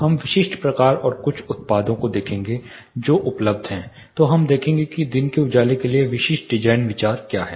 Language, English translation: Hindi, We will look at specific types and few products which are available then, we will look at what are the typical design considerations for harnessing daylight